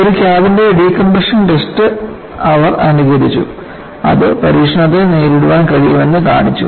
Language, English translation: Malayalam, They simulated decompression test of a cabinwhich showed that it could withstand the test